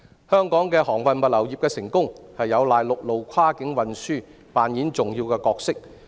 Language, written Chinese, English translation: Cantonese, 香港航運物流業的成功有賴陸路跨境運輸擔當重要的角色。, The important role of land - based cross - boundary transport is vital to the success of the shipping and logistics industries